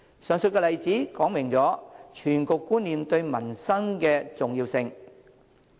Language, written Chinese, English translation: Cantonese, 上述例子說明全局觀念對民生的重要性。, The above example illustrates the importance of planning from an overall perspective for peoples livelihood